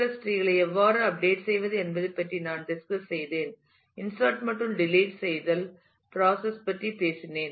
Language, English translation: Tamil, I have discussed about how to update B + trees talked about the insertion and the deletion process